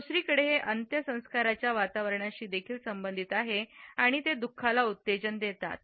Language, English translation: Marathi, On the other hand, it is also associated with a funeral atmosphere and they evoke sorrow